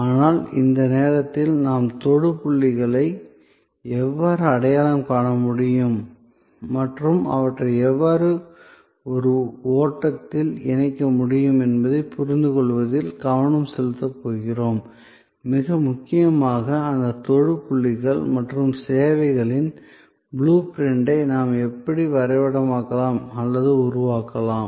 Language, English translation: Tamil, But, at the moment, we are going to focus on understanding that how we can identify the touch points and how we can link them in a flow and most importantly, how we can map or create a blue print of those touch points and services